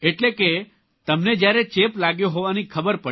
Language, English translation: Gujarati, You mean when you came to know of the infection